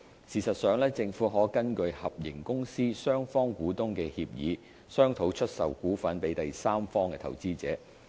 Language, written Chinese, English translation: Cantonese, 事實上，政府可根據合營公司雙方股東的協議，商討出售股份予第三方投資者。, In fact the Government may following agreement reached between both shareholders of the joint venture negotiate the sale of our shares to third party investors